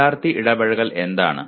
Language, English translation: Malayalam, What is student engagement